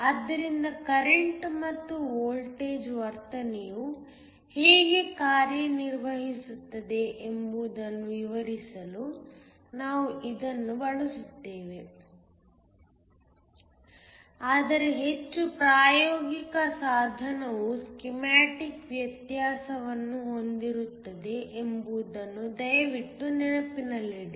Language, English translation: Kannada, So, we will use this to explain how the current and voltage behavior works, but please keep in mind a more practical device will have a difference schematic